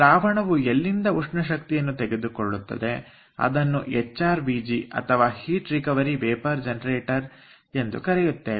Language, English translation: Kannada, so the component where the fluid picks of heat is called hrvg or heat recovery vapour generator